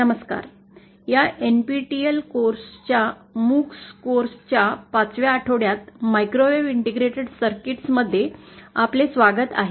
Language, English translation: Marathi, Hello, welcome to week 5 of this NPTEL NOC course, microwave integrated circuits